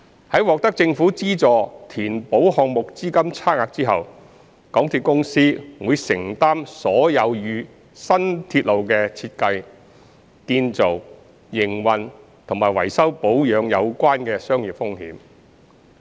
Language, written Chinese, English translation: Cantonese, 在獲得政府資助填補項目資金差額後，港鐵公司會承擔所有與新鐵路的設計、建造、營運和維修保養有關的商業風險。, Upon receipt of the funding support from the Government to bridge the funding gap MTRCL would bear all the commercial risks associated with the design construction operation and maintenance of the new railway